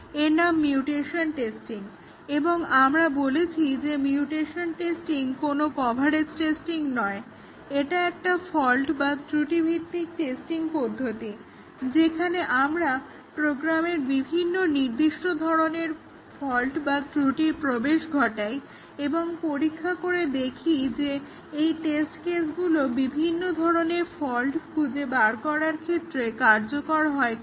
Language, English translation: Bengali, Now, let us look at another white box testing technique which is the mutation testing and we had said that mutation testing is not a coverage testing, but it is a fault based testing technique where we introduce a specific type of fault into the program and then, check whether the test cases are effective against that type of fault